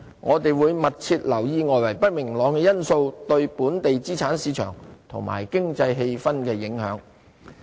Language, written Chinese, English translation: Cantonese, 我們會密切留意外圍不明朗因素對本地資產市場及經濟氣氛的影響。, We will closely monitor the impacts of external uncertainties on the local asset markets and economic sentiment